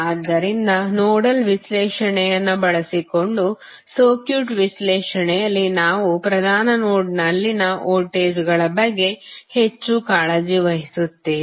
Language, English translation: Kannada, So, in circuit analysis using nodal analysis we are more concerned about the voltages at principal node